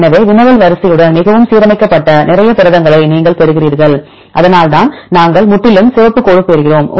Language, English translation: Tamil, So, you get a lot of proteins which are highly aligned with the query sequence, this is why we get the completely red dash